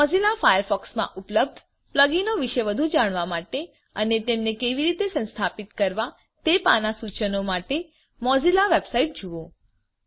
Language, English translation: Gujarati, To learn more about plug ins available for mozilla firefox and instructions on how to install them please visit the mozilla website